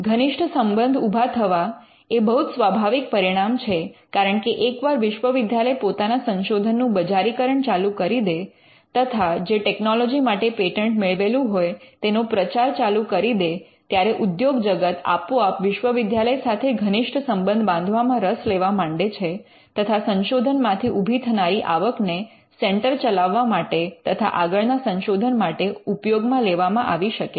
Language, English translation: Gujarati, Building closer ties is an obvious outcome because once the university starts commercializing its research and publicizing the technology that is patented by its industry would be interested in having closer ties with the university and the money that is generated from research can be pulled back into running the centre and also in into further research